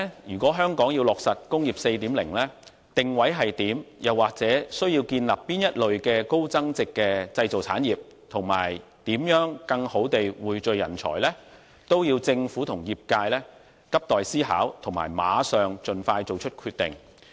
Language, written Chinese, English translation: Cantonese, 如果香港要落實"工業 4.0"， 則其定位如何，又或需要建立哪類高增值的製造產業，以及如何更好地匯聚人才，這些都急待政府和業界思考，並盡快作出決定。, If Hong Kong has to implement Industry 4.0 the Government and the industry will have to expeditiously figure out its positioning the kind of high value - added manufacturing industry to be developed and how talents can be better pooled